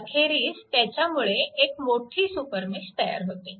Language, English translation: Marathi, Now, we will create a super mesh